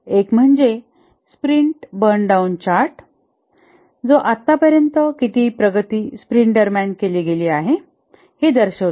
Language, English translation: Marathi, One is the sprint burn down chart which is during a sprint, how much progress has been achieved till a date